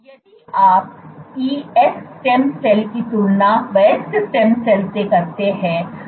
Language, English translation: Hindi, If you compare the ES cells with adult stem cells